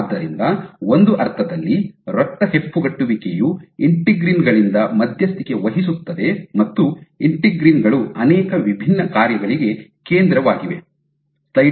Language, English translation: Kannada, So, in a sense blood clotting is mediated by integrins and integrins are central to so many different functions